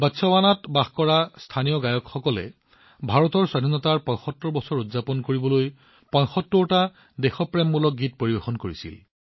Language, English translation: Assamese, Local singers living in Botswana sang 75 patriotic songs to celebrate 75 years of India's independence